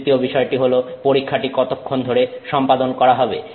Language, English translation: Bengali, The third thing is how long the test is carried out